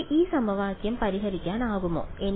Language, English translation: Malayalam, Can I solve this equation